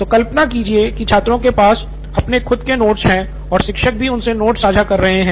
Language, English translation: Hindi, So imagine students have, are sharing their notes within themselves and also teacher